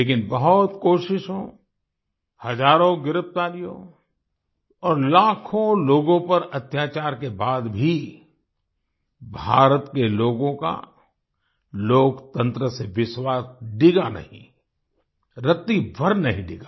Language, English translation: Hindi, But even after many attempts, thousands of arrests, and atrocities on lakhs of people, the faith of the people of India in democracy did not shake… not at all